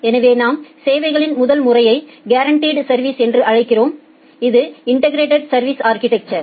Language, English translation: Tamil, So, the first mode of services, which we call as the guaranteed service, that is the integrated service architecture